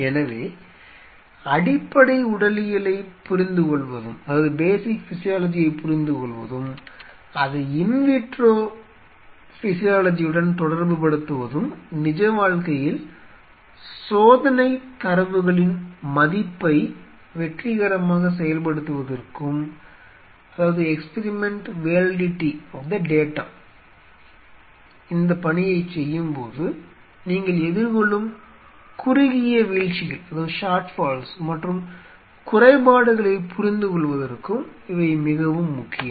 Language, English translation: Tamil, So, understanding of the basic physiology and correlating it with in vitro physiology is very important for a successful execution of an experiment validity of the data in real life and understanding the short falls and short comings what you are under growing while you know performing this task